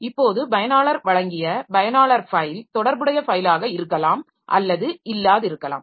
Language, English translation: Tamil, Now the file that the user, file name that the user has provided the corresponding file may or may not exist